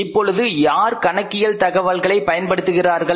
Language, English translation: Tamil, Now, users of accounting information who uses that information